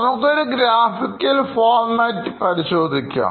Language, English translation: Malayalam, Let’s look at this in a graphical format